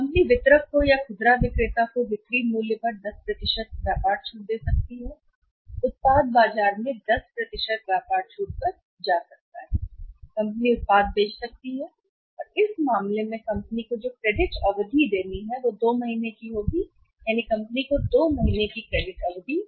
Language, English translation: Hindi, Company can give the trade discount on selling price on selling price to a distributor or to a retailer and the product can go to the market this is at the 10% trade discount the company can sell the product and the credit period and the credit period which the company has to give in this case is, credit period will be 2 months company has to give the credit period of 2 months